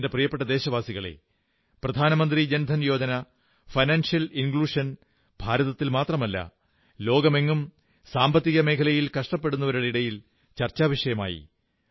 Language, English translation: Malayalam, My dear countrymen, the Pradhan Mantri Jan DhanYojna, financial inclusion, had been a point of discussion amongst Financial Pundits, not just in India, but all over the world